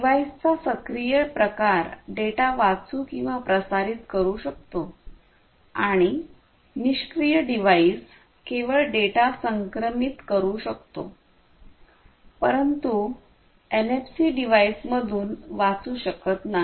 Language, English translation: Marathi, An active device, active type of device can both read and transmit data, and a passive device can only transmit data, but cannot read from the NFC devices